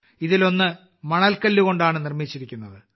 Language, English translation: Malayalam, One of these is made of Sandstone